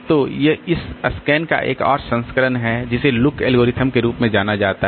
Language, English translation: Hindi, So, so there is another variant of this scan which is known as the look algorithm